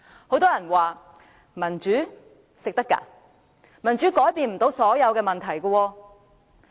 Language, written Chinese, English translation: Cantonese, 很多人說，民主不能當飯吃，而且民主無法解決所有問題。, Many people said that democracy is not enough for meeting our basic needs and that democracy cannot solve all problems